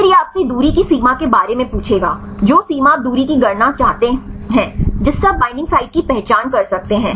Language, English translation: Hindi, Then this will ask you for the distance threshold, which distance a threshold a you want to calculate a the identify the binding site